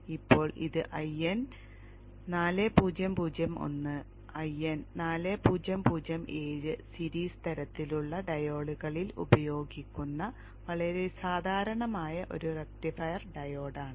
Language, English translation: Malayalam, Now this is a very common rectifier diode used in most of the products, 1N4001 1 and 4707 kind of series kind of diodes